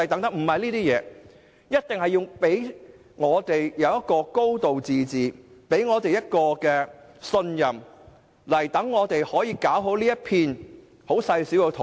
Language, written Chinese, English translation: Cantonese, 中央必須讓我們有"高度自治"及信任我們，使我們可以好好管理香港這片細小的土地。, The Central Authorities must let us have a high degree of autonomy and trust us so that we can well manage this tiny piece of land